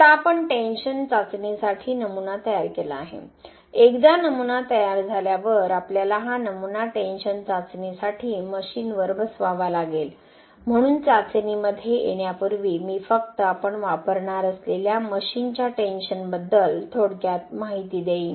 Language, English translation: Marathi, Now we have prepared the specimen for the tension test, once the specimen is ready we have to mount this specimen on the machine for the tension testing, so before getting into the testing I will just brief about tension the machine that we are going to use